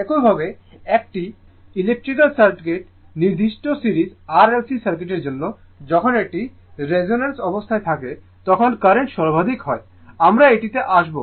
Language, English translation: Bengali, Similarly, for electrical circuit particular series RLC circuit when it is a resonance condition the current is maximum right, we will come to that